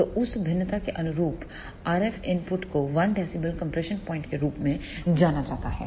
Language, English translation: Hindi, So, then RF input corresponding to that variation is known as the 1 dB compression point